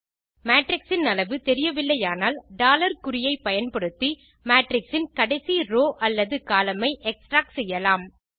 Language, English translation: Tamil, If the size of the matrix is not known $ symbol can be used to extarct the last row or column of that matrix